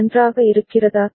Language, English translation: Tamil, Is it fine